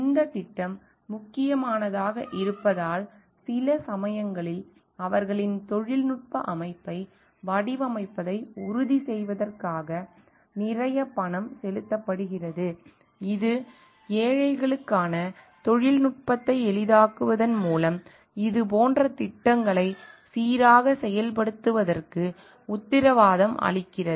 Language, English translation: Tamil, Because of this project is important, sometimes lots of money is just paid to ensure that their designing of the technical system, which in turn guarantee the smooth execution of such projects by simplifying the technology for the poor